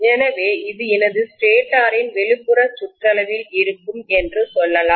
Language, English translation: Tamil, So let us say this is going to be my stator’s outer periphery